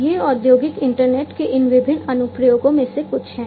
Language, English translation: Hindi, These are some of these different applications of the industrial internet